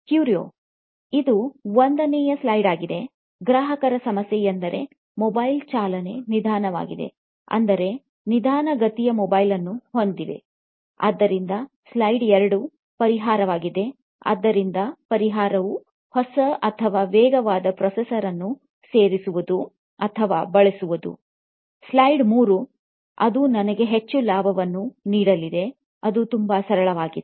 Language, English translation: Kannada, This is slide one: the customer’s problem, that is facing a slower mobile, having a slower mobile, so slide two: is the solution, so solution would be to add or to use a new or faster processor, slide three: that is going to give me more profits, well, that was quite simple